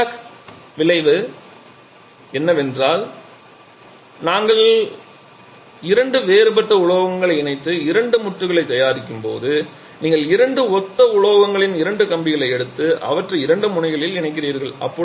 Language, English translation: Tamil, Seebeck effect is says that when we connect two dissimilar metals and prepare two joints that means you take two wears up to be similar metals and connect them at two ends